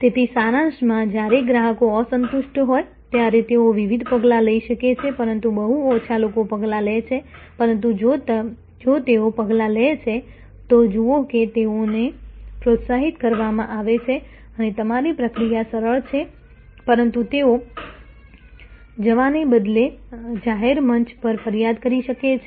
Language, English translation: Gujarati, So, to summarize, when customers are dissatisfied, they can take different actions, but very few people take actions, but if they do take actions, see that they are encouraged and your process is easy, but they can complain to you rather than go to a public forum and complain